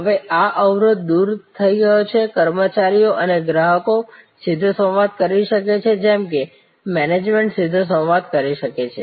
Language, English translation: Gujarati, Now, this barrier is dissolved, the employees and the customer consumers can be in direct dialogue as can management being direct dialogue